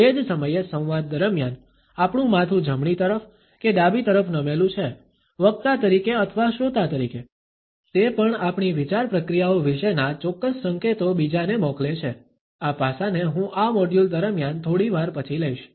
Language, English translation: Gujarati, At the same time whether our head is tilted towards the right or towards the left during a dialogue, as a speaker or as a listener also passes on certain clues about our thought processes this aspect I would take up slightly later during this module